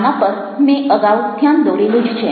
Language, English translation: Gujarati, i have already highlighted this